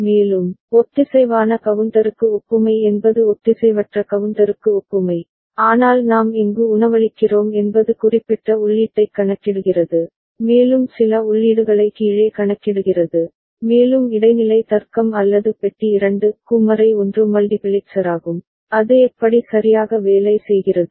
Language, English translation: Tamil, And, design of synchronous up down counter is analogues to asynchronous counter, but where we are feeding for up count certain input and for down counts certain other input, and the intermediate logic or the box is 2 to 1 multiplexer, the way it works ok